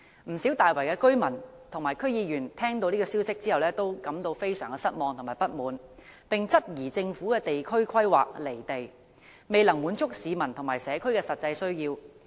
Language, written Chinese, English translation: Cantonese, 不少大圍居民和區議員聽到這消息後都感到非常失望和不滿，並質疑政府的地區規劃"離地"，未能滿足市民和社區的實際需要。, Many Tai Wai residents and District Council members are very disappointed and dissatisfied with the news . They questioned whether the Governments district planning is impractical and fails to meet the actual needs of the public and the community